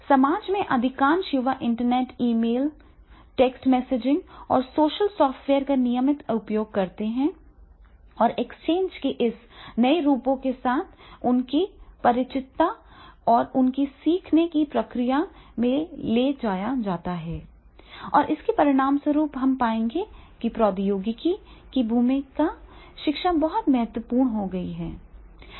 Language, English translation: Hindi, Most young people in societies make routine use of the Internet and email, text messaging and social software and their familiarity with this new forms of exchange are carried over into their learning process and as a result of which we will find that is the role of technology in education that has become very, very important